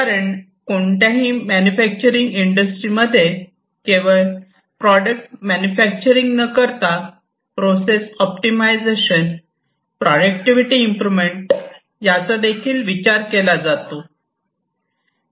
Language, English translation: Marathi, Because in any manufacturing industry it is not just the manufacturing of the product, optimization of the processes, improvement of the productivity, these are important considerations